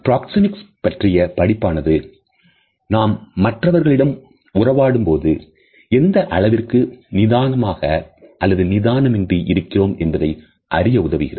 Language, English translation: Tamil, The study Proxemics helps us to understand the level of comfort and discomfort, which we have towards other people